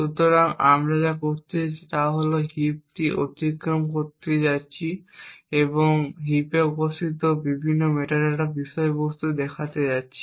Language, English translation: Bengali, So, what we are going to do is that we are going to traverse the heap and look at the various metadata contents present in the heap